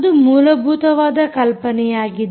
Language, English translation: Kannada, so thats the basic idea